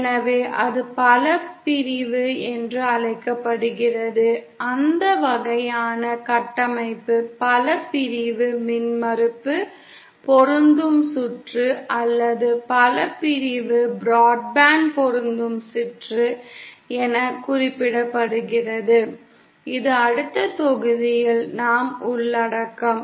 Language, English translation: Tamil, So that is called multi section, that kind of structure is referred to as a multi section impedance matching circuit or a multi section broad band matching circuit, which we shall cover in the next module